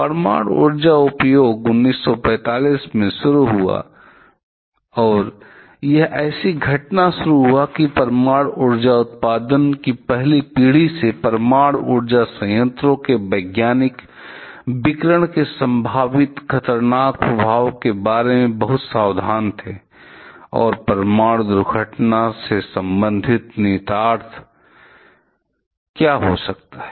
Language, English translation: Hindi, The use of nuclear energy just started from that 1945 and it is starting such an incident that from the very first generation of nuclear power generation, nuclear powers plants scientist were very much careful about the possible hazardous effect radiation can have and what can be the possible implications of a nuclear accident